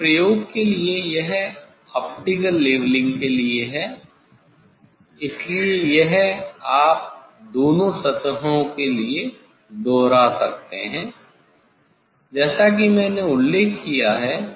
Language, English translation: Hindi, Now, for the experiment this so this for optical leveling, so this you can repeat for the both surfaces as I mentioned